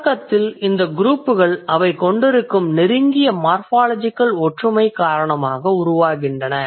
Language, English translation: Tamil, So to like at the very beginning, I will tell you, these groups are formed due to the close morphological resemblance that they have